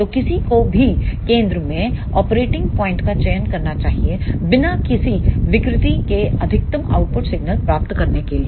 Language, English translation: Hindi, So, one should choose the operating point at the centre to get the maximum output signal without any distortion